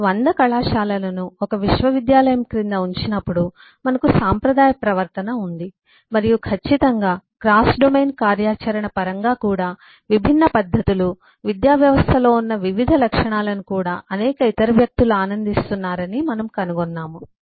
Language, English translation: Telugu, when you put 100 colleges together under a university, we have a traditional behavior and certainly uh also in terms of cross domain functionality, we find that uh, different eh practices, different eh properties that are held in the education system are also enjoyed by several other